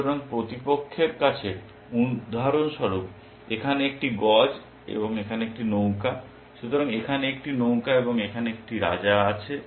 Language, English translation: Bengali, So, opponent has for example, a bishop here and a rook here, and a rook here, and a king here